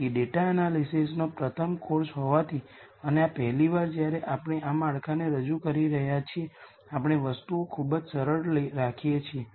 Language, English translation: Gujarati, So, since there is the first course on data analysis and this the first time we are introducing this framework we are going to keep things very simple